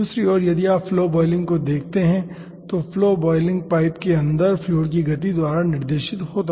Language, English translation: Hindi, on the other hand, if you see flow boiling, the flow boiling will be guided by the fluid movement inside the pipe